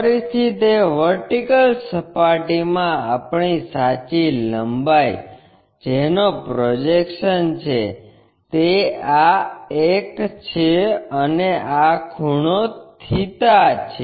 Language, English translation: Gujarati, Again our true length in that vertical plane projected one, this is the one and this angle is theta